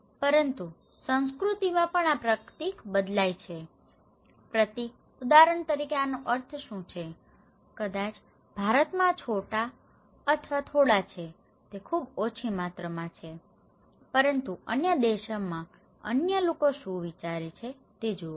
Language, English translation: Gujarati, But also it varies from culture to culture this symbol, what is the meaning of this one for example, maybe in India, this is chota or thoda, it is very small amount, okay but look into other what other people in other countries they think